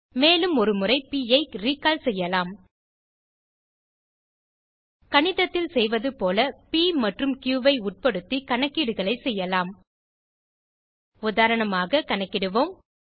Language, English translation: Tamil, Let us also recall P once more: We can carry out calculations involving P and Q, just as we do in mathematics